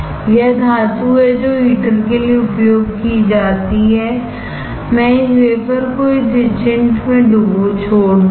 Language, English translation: Hindi, That is the metal which is used for heater; I will leave this wafer into this etchant